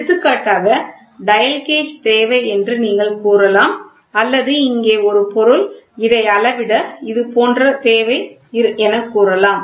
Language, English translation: Tamil, For example, you can say a dial gauge is required or you say that here is a component which is something like this to measure